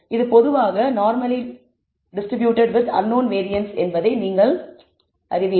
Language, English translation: Tamil, You knowing it is normally distributed with some unknown variance